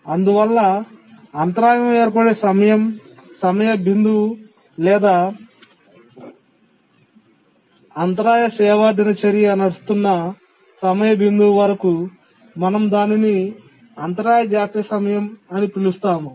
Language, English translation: Telugu, So the point where the interrupt occurs, the time point at which the interrupt occurs to the time point where the interrupt service routine starts running, we call it as the interrupt latency time